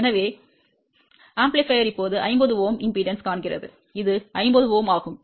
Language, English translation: Tamil, So, amplifier now see is a 50 Ohm impedance and this is 50 Ohm